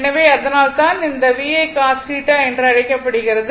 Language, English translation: Tamil, So, that is why you are what you call that VI it is cos theta